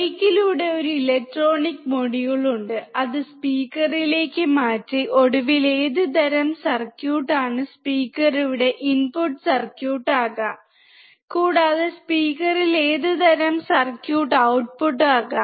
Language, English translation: Malayalam, Through mike there is a electronic module, and it transferred to the speaker that finally, is a speaker which kind of circuit can be the input circuit here, and which kind of circuit can be output at the speaker